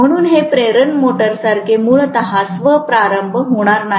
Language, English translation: Marathi, So this will not be self starting inherently like an induction motor